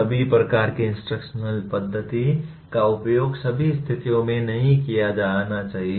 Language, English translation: Hindi, Every type of instructional method should not be used in all conditions